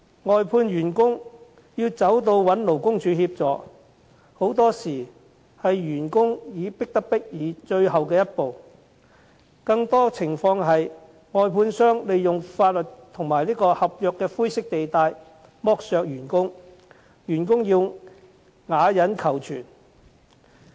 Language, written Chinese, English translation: Cantonese, 外判員工要尋求勞工處協助，很多時候也是員工迫不得已的最後一步，更多的情況是，外判商利用法律和合約的灰色地帶剝削員工，員工要啞忍求存。, Seeking assistance from LD is often the last resort of workers who have no other alternative but it is more common that the contractors took advantage of the grey areas in law and the contract to exploit their workers who had to endure in silence in order to stay employed